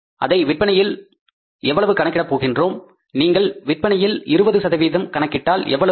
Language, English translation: Tamil, If you calculate that amount of the sales we are going to talk about so it is going to be if you calculate 20% of how much